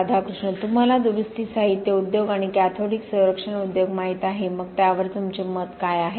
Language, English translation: Marathi, Right you know the repair material industry and the cathodic protection industry, so what is your opinion on that